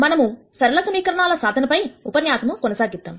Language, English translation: Telugu, We will continue the lecture on solving linear equations